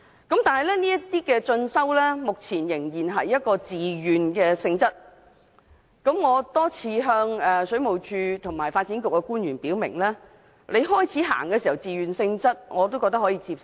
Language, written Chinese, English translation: Cantonese, 但是，這些進修目前仍然是自願性質，我多次向水務署和發展局官員表明，初期以自願性質推出持續進修計劃，我覺得可以接受。, However it was only a voluntary scheme . I have repeatedly told officials of WSD and the Development Bureau that it is acceptable for the continuing professional development scheme to be operated on a voluntary basis initially but it should be replaced with a mandatory one as soon as practicable